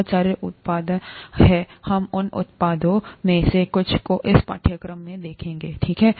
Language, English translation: Hindi, There are very many products, we’ll see some of those products in this course itself, okay